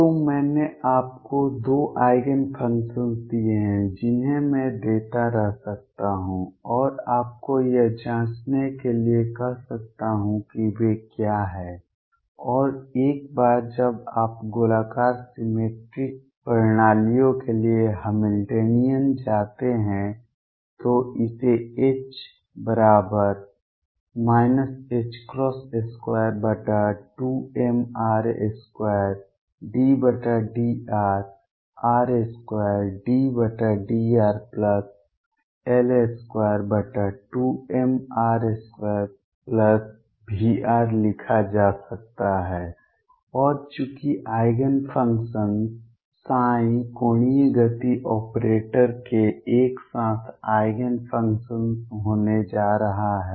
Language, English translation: Hindi, So, I given you 2 Eigen functions others I can keep giving and ask you to check what they are like and once you then go to the Hamiltonian for spherically symmetric systems this can be written as H equals minus h cross square over 2 m r square partial with respect to r; r square partial with respect to r plus L square over 2 m r square plus V r and since the Eigenfunctions psi are going to be simultaneous Eigenfunctions of the angular momentum operator